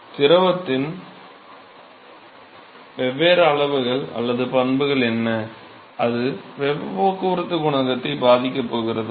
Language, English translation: Tamil, What are the different quantities or properties of the fluid, which is going to influence the heat transport coefficient